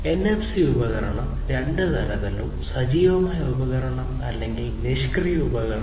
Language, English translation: Malayalam, And a NFC device can be of any two types, active device or passive device